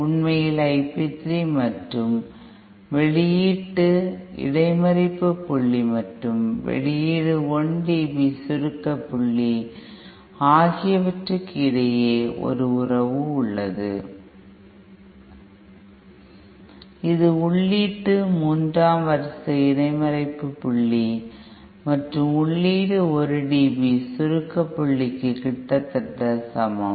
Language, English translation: Tamil, In fact, there is a relationship between I p 3 and output intercept point and the output 1 dB compression point and that is nearly equal to the input third order intercept point and the input 1 dB compression point